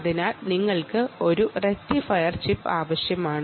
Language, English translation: Malayalam, so you need a rectifier chip